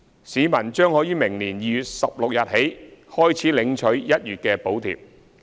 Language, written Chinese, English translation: Cantonese, 市民將可於明年2月16日起開始領取1月的補貼。, They can collect the public transport fare subsidy for January starting from 16 February next year